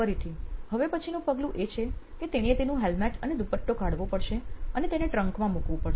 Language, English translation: Gujarati, Again, the next step is now she has to take off her helmet and scarf and probably pack it inside the trunk of the vehicle